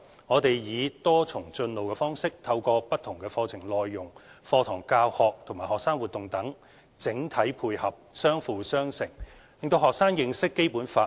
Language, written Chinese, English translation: Cantonese, 我們以"多重進路"方式，透過不同課程內容、課堂教學和學生活動等整體配合、相輔相成，讓學生認識《基本法》。, We adopt a multi - pronged approach which integrates a variety of curriculum contents classroom teaching and student activities to promote students understanding of the Basic Law in a holistic and coordinated manner